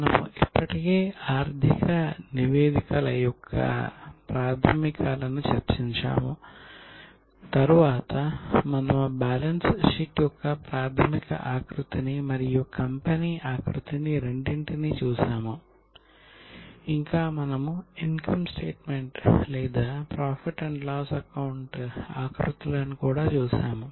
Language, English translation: Telugu, We have already discussed the basics of financial statements then we have seen balance sheet both the basic format and the company format and we have also seen income statement or profit and loss account formats